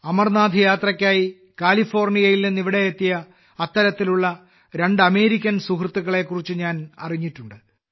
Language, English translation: Malayalam, I have come to know about two such American friends who had come here from California to perform the Amarnath Yatra